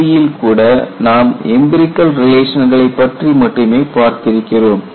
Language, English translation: Tamil, Even in CTOD you would come across only empirical relations